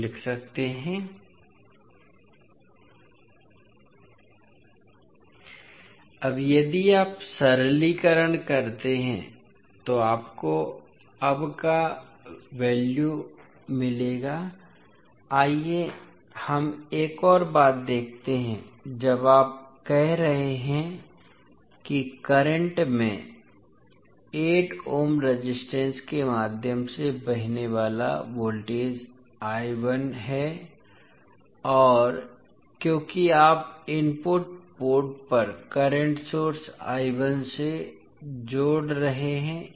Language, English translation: Hindi, Now if you simplify, you will get the value of the now, let us see another thing when you are saying that voltage across the current flowing through 8 ohm resistance is I 1 because you are connecting the current source I 1 at the input port